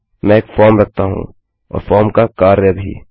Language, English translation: Hindi, Im going to have a form and the action of the form